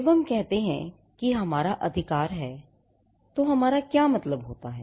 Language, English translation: Hindi, What do we mean when we say we have a right